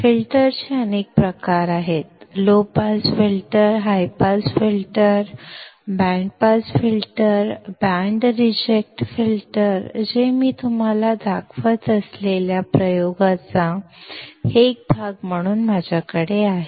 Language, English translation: Marathi, There are several type of filters low pass filter, high pass filter, band pass filter, band reject filter that I have as a part of the experiment that I will show you